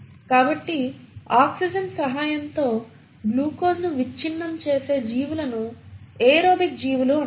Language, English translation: Telugu, So, those organisms which break down glucose with the aid of oxygen are called as the aerobic organisms